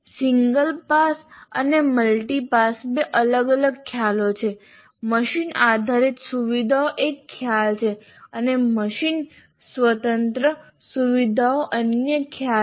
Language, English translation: Gujarati, So, single pass, multipass, there are two different concepts and machine dependent features is one concept and machine independent features is another concept